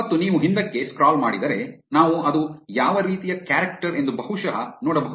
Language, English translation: Kannada, And if you scroll back, we can probably look at what character it was